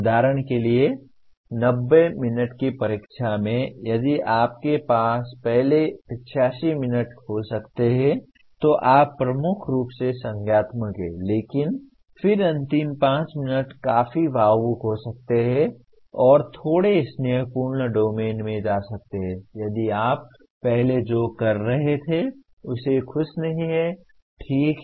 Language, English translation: Hindi, For example, in a 90 minute exam if you have maybe first 85 minutes you are dominantly cognitive but then the last 5 minutes can be quite emotional and go into a bit of affective domain if you are not happy with what you were doing earlier, okay